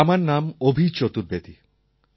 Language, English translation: Bengali, "My name is Abhi Chaturvedi